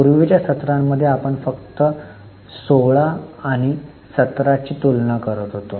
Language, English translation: Marathi, In earlier sessions, we only compare 16 and 17